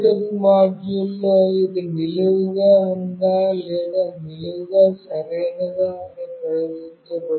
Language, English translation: Telugu, In the Bluetooth module, it will be displayed whether it is vertically up or it is vertically right